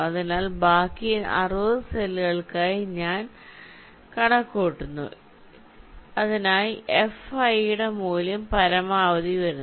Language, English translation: Malayalam, so so i calculate for each of the remaining sixty cells for which the value of fi is coming to be maximum